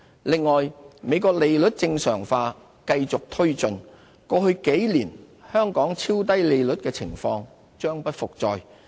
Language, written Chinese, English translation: Cantonese, 另外，美國利率正常化繼續推進，過去數年香港超低利率的情況將不復再。, Besides as the United States interest rate normalization process continues the ultra - low interest rate environment of the past few years will no longer persist